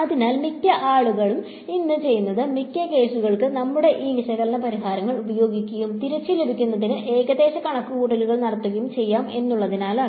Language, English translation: Malayalam, So for the most part what people do this, let us use these analytical solutions for most cases and make approximations were required to get back